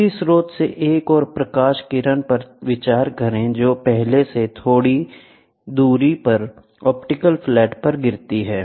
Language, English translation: Hindi, Next consider an another light ray from the same source falls on the optical flat at a mall distance from the first one